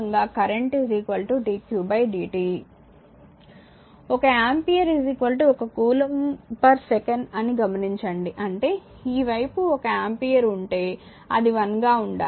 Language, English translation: Telugu, If note that 1 ampere is equal to 1 coulomb per second; that means, if this side is 1 ampere this side it has to be 1